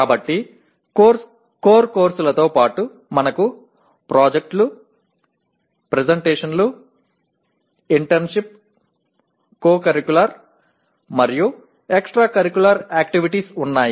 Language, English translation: Telugu, And so in addition to core courses we have projects, presentations, internship, co curricular and extra curricular activities